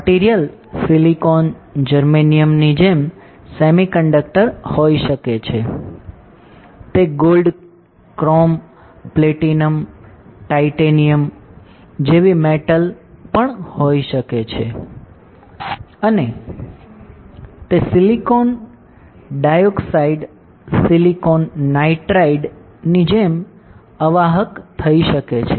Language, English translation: Gujarati, So, material can be semiconductor like silicon germanium, it can be metal like gold, chrome, platinum, titanium, it can be insulated like silicon dioxide, silicon nitride right